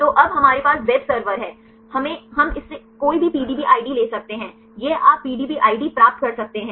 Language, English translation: Hindi, So, we have the web server, we can it can take any PDB ID, this you can get the PDB ID